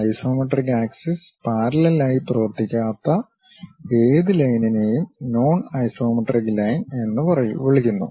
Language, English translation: Malayalam, Any line that does not run parallel to isometric axis is called non isometric line